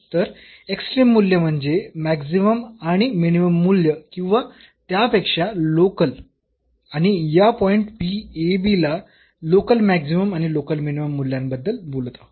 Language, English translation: Marathi, So, extreme value means the maximum and the minimum value or rather the local we are talking about local maximum and local minimum values of it at this point p